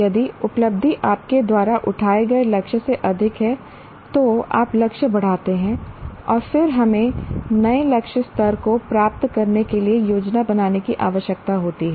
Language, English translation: Hindi, If the achievement exceeds the plan, plan target, you raise the bar, you increase the target, enhance the target and then we need to plan for achieving the new target level